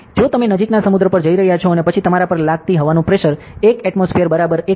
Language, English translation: Gujarati, So, if you are going nearest sea and then the pressure of air acting on you is equal to 1 atmosphere and is equal to 101